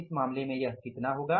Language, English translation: Hindi, In this case it is going to be how much